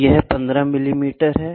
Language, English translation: Hindi, So, this is 15 millimeter